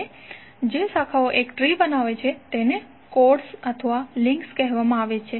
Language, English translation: Gujarati, Now the branches is forming a tree are called chords or the links